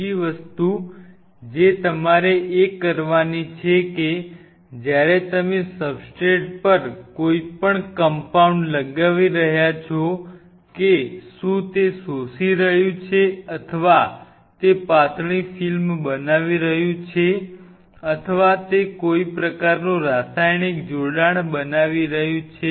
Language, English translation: Gujarati, The third thing what you have to do is now when you are putting any compound on the substrate whether it is getting absorbed, or whether it is forming a thin film, or it is forming some kind of chemical coupling